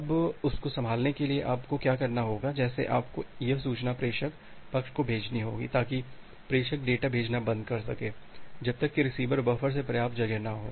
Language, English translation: Hindi, Now, to handle that; what you have to do, like you have to send that information to the sender side so that sender can stop sending data, unless there is sufficient space in the receiver buffer